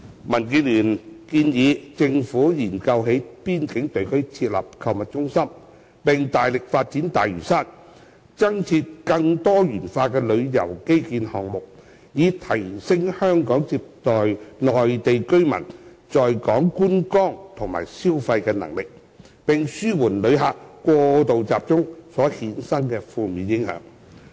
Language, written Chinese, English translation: Cantonese, 民建聯建議政府研究在邊境地區設立購物中心，並大力發展大嶼山，增設更多元化的旅遊基建項目，以提升香港接待內地居民在港觀光和消費的能力，並紓緩旅客過度集中所衍生的負面影響。, DAB advises the Government to study the possibility of setting up shopping centres in the border area proactively develop Lantau Island and roll out more diversified tourism infrastructure projects to enhance the capability of Hong Kong so as to accommodate Mainlanders on visit and consumption in Hong Kong and alleviate the negative impact arising from over - concentration of visitors